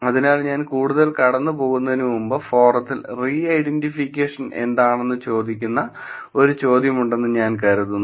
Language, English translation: Malayalam, So, before I get into further I think there was a question in the forum asking about what is re identification